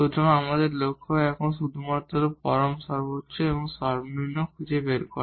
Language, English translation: Bengali, So, our aim is now to find only the absolute maximum and minimum